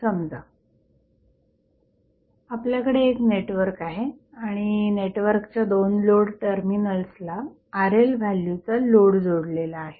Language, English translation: Marathi, Suppose, you have a network and the 2 terminals of the network are having the load connected that is the value of load is Rl